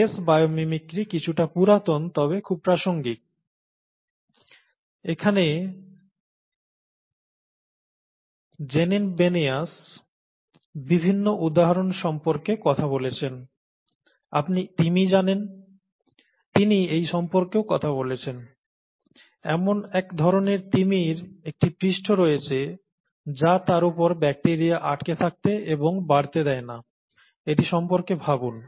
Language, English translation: Bengali, In this Janine Benyus talks about various examples, you know, the whale, she talks about this, one of the whales has a surface which does not allow bacteria to stick and grow on them, okay